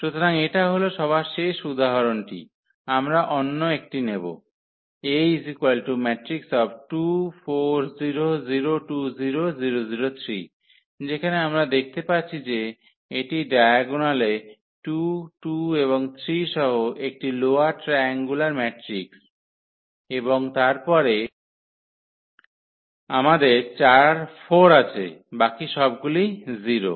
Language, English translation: Bengali, So, the last example here we will take another one where we do see this is the lower triangular matrix with entries 2 2 3 in the diagonals and then we have this 4 in the off diagonal rest everything is 0